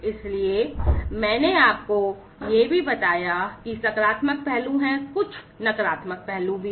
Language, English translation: Hindi, So, I also told you that the positive aspects are there, there are some negative aspects as well